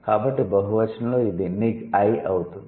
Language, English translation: Telugu, So, in plural it becomes niggi